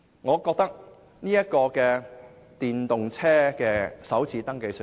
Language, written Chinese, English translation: Cantonese, 我覺得電動車首次登記稅豁免......, I think waiving the First Registration Tax for electric vehicles